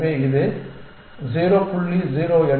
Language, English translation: Tamil, So, this turns out to be 0